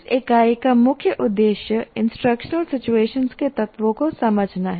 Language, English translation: Hindi, So in this, the main aim is to understand the elements of instructional situations